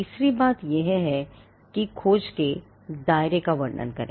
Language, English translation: Hindi, The third thing is to describe the scope of the search